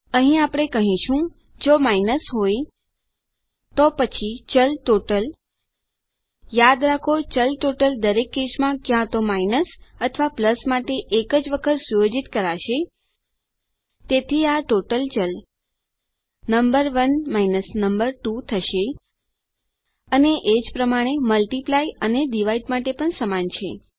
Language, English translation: Gujarati, Here we will say if its a minus, then the variable total okay remember, the variable total will only be set once for each case either plus or minus so this total variable going to be number 1 number 2 and the same for multiply and divide as well